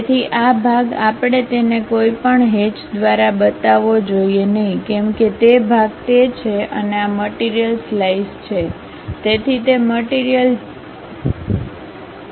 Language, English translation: Gujarati, So, this part we should not show it by any hatch that part is that and this material is slice; so, that material is that